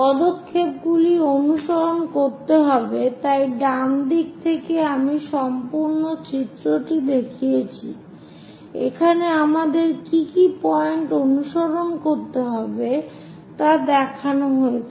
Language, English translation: Bengali, Steps to be followed, so on the right hand side I am showing the complete picture to just indicate the points what we have to follow, on the left hand side we will show the steps